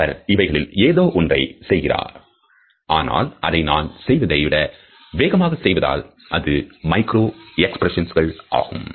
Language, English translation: Tamil, He does something like that, but he does it much more quickly than I am doing because it is a micro expression